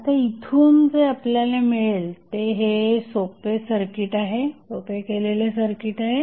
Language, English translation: Marathi, So, now, this is a simplified circuit which you will get from here